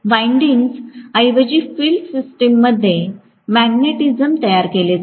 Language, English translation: Marathi, Instead of having windings, create the magnetism in the field system